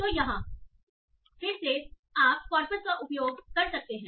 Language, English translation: Hindi, So again, here you can use the corpus